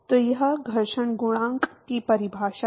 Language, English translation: Hindi, So, that is the definition of friction coefficient